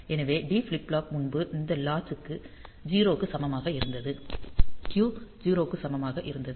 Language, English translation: Tamil, So, D flip flop previously this latch was equal to 0; the Q was equal to 0